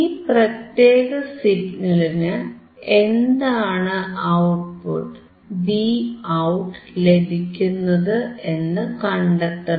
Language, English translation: Malayalam, For this particular signal, I have to observe what is Vout